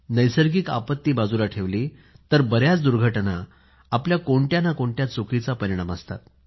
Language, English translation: Marathi, Leave aside natural disasters; most of the mishaps are a consequence of some mistake or the other on our part